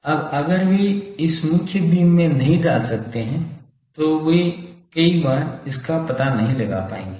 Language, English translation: Hindi, Now if they cannot put it into the main beam then they many times would not be able to detect it